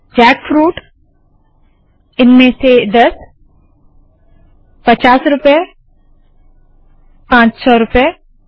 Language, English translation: Hindi, Jackfruit 10 of them 50 rupees 500 rupees